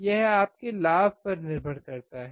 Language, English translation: Hindi, This depends on your gain